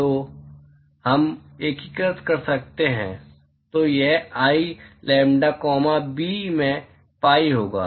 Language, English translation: Hindi, So, we can integrate; so, this will be pi into I lambda comma b